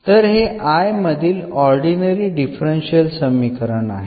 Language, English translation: Marathi, So, this is a differential equation the ordinary differential equation for I